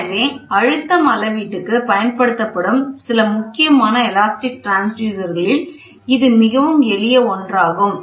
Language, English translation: Tamil, So, these are nothing but elastic transducers which are used to measure the pressure difference